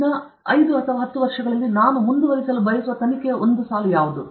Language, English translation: Kannada, What is a line of investigation I want to pursue in the next 5 to 10 years